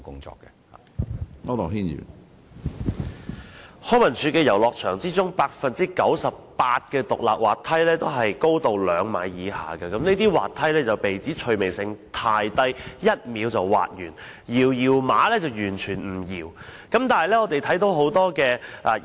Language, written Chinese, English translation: Cantonese, 在康文署轄下的遊樂場當中，有 98% 的獨立滑梯的高度均在兩米以下，這些滑梯被指趣味性太低，只須一秒便已滑完，"搖搖馬"更是完全無法搖動。, Of the playgrounds under LCSD 98 % have freestanding slides below 2 m in height which are deemed too dull and uninteresting as it only takes a second to whizz down the slide . Moreover the spring rides are totally immovable